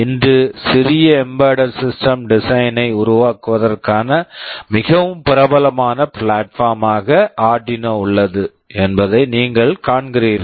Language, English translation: Tamil, You see Arduino is a very popular platform for developing small embedded system design today